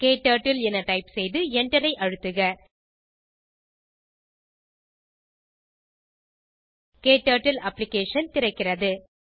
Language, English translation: Tamil, Type KTurtle and press enter, KTurtle Application opens